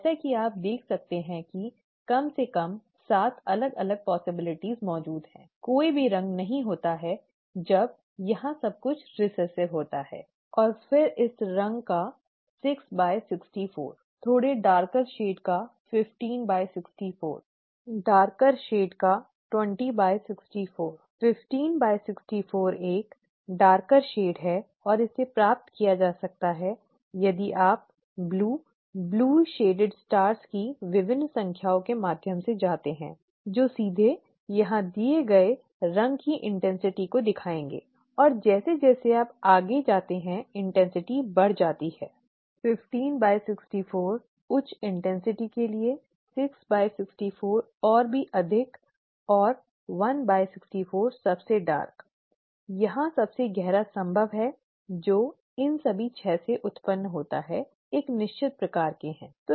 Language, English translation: Hindi, As you could see at least 7 different possibilities exist, no colour at all when everything is recessive here and then 6 by 64 of this colour, 15 by 64 of a slightly darker shade, 20 by 64 of a darker shade, 15 by 64 of a darker shade and this can be obtained if you do, if you go through the various numbers of the blue, bluely shaded stars that are given here, that would directly show the intensity of the colour here and as you go along the intensity increases, 15 by 64 for higher intensity, 6 by 64 even higher and 1 by 64 the darkest, the darkest possible here that arises of all these 6 are of a certain kind, okay